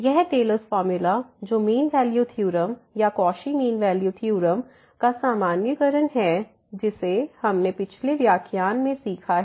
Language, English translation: Hindi, So, this Taylor’s formula which is a generalization of the mean value theorem or the Cauchy's mean value theorem which we have learned in the last lecture